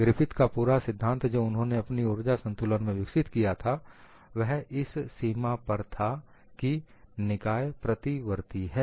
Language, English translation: Hindi, Whole of Griffith theory, he developed this energy balance based on the premise that the system is reversible